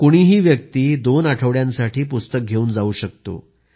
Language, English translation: Marathi, Anyone can borrow books for two weeks